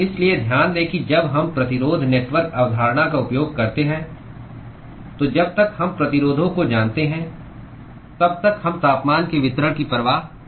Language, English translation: Hindi, So, note that when we use the resistance network concept, we did not care about the distribution of the temperature as long as we know the resistances